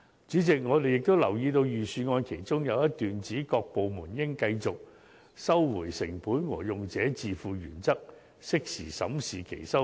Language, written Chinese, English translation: Cantonese, 主席，我們亦留意到預算案其中有一段指，"各部門應繼續按'收回成本'和'用者自付'原則，適時審視其收費。, President we also note that one of the paragraphs in the Budget reads as follows [G]overnment departments should continue to review their fees and charges in a timely manner and in accordance with the cost recovery and user pays principles